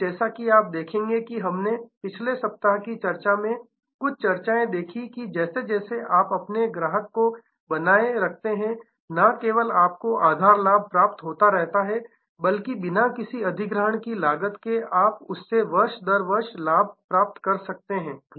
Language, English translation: Hindi, And as you will see that we saw some discussions in the last week’s discussion, that the more you retain the customer not only you gain by the base profit year after year from that customer without any new acquisition cost